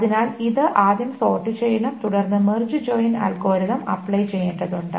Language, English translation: Malayalam, So this must be first sorted and then the March join algorithm needs to be applied